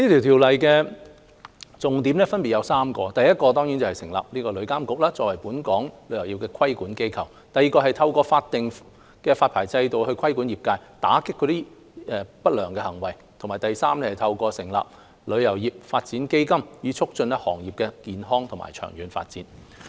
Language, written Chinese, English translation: Cantonese, 《條例草案》有三大重點，分別是 ：1 成立旅監局，作為本港旅遊業的規管機構 ；2 透過法定發牌制度規管業界，打擊不良行為；及3透過成立旅遊業發展基金，促進行業健康和長遠發展。, The Bill has three key elements namely 1 establishing TIA as the regulatory body for our travel industry; 2 regulating the trade and combating unscrupulous acts through a statutory licensing regime; and 3 fostering the healthy long - term development of the industry through the establishment of the Travel Industry Development Fund